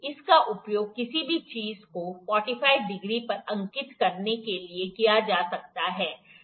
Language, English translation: Hindi, This can be used to mark anything at 45 degree